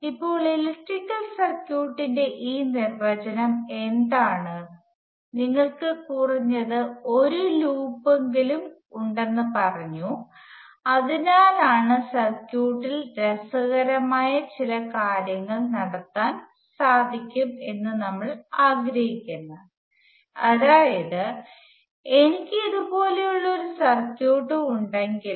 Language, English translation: Malayalam, Now what is this definition of electrical circuit, we said that we have to have at least one loop so that is because we want to have some interesting behavior in the circuit that is if I have a circuit such as this